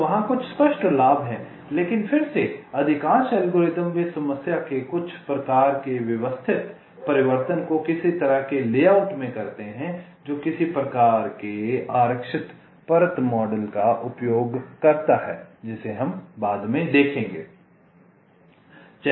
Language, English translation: Hindi, but again, most of the algorithms they do some kind of a systematic transformation of the problem to a, some kind of a layout that uses some kind of a reserved layer model